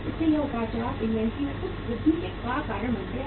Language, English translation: Hindi, So these fluctuations also cause some increase in the inventory